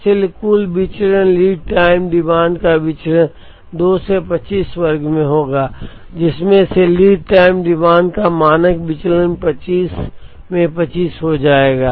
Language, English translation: Hindi, So, total variance, variance of lead time demand will be 2 into 25 square from which standard deviation of lead time demand will be root 2 into 25